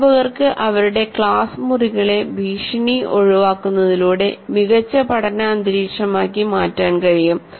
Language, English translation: Malayalam, Teachers can make their classroom better learning environments by avoiding threats